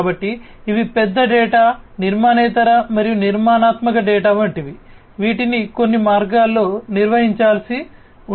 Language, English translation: Telugu, So, these are like big data, non structured as well as structured data, which will have to be handled in certain ways